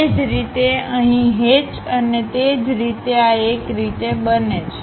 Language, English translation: Gujarati, Similarly here hatch and similarly this one